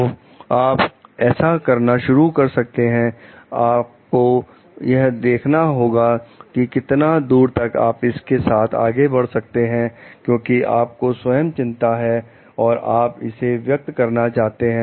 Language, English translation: Hindi, So, you can start doing it, but you have to see how far you can move forward with it, because you yourself for having a concern and you need to express it